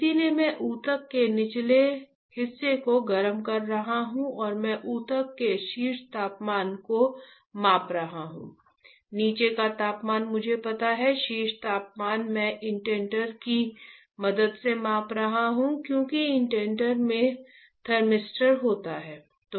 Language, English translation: Hindi, So, I am heating the bottom of the tissue and I am measuring the top temperature of the tissue the bottom temperature I know, top temperature I am measuring with the help of indenter, because indenter has a thermistor